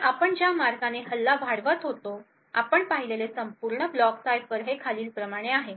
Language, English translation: Marathi, So, the way we actually extend the attack that we seem to a complete block cipher is as follows